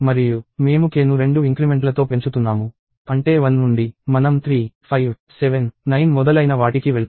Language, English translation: Telugu, And we are incrementing k in increments of 2; which means from 1 we will go 3, 5, 7, 9 and so on